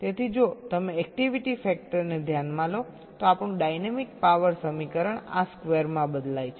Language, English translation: Gujarati, so if you take the activity factor into account, our dynamics power equation changes to this square